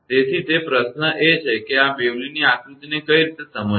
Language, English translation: Gujarati, So, that question is that how to understand this Bewley’s diagram right